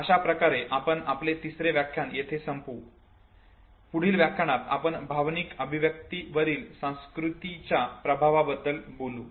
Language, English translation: Marathi, So we will end your third lecture here, in the next lecture we will be talking about specifically the influence of culture on emotional expression